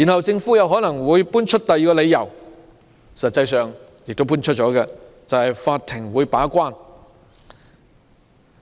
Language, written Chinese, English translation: Cantonese, 政府又可能搬出第二個理由，實際上已經搬出這個理由，就是法庭會把關。, The Government may present the second reason―it has actually presented this reason ie . the court will play a gatekeepers role